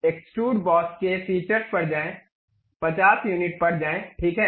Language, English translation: Hindi, Go to features extrude boss, go to 50 units click ok